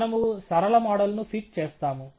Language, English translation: Telugu, We have just fit a linear model